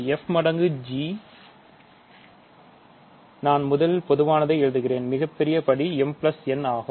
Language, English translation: Tamil, So, f times g, I will first write the general so, the largest degree term will be mn, ok